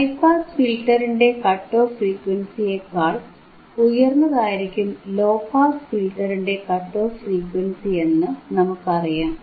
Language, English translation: Malayalam, The cut off frequency of low pass filter is higher than the cut off frequency of high pass filter